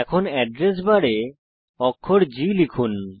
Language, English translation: Bengali, Now, in the Address bar, type the letter G